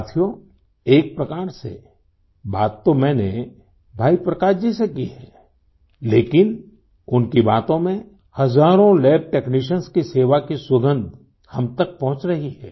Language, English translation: Hindi, Friends, I may have conversed with Bhai Prakash ji but in way, through his words, the fragrance of service rendered by thousands of lab technicians is reaching us